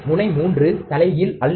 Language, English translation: Tamil, Pin 3 is non inverting